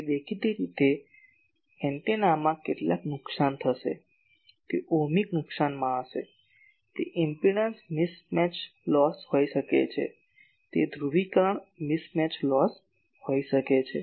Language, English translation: Gujarati, So obviously, there will be some losses in the antenna, that will be in the Ohmic losses , that may be in the impedance mismatch losses , that may be in the mismatch losses